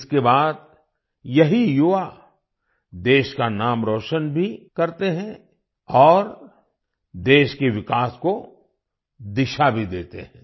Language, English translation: Hindi, Subsequently, these youth also bring laurels to the country and lend direction to the development of the country as well